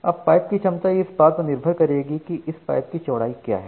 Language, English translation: Hindi, Now, the capacity of the pipe will depend on what is the width of this time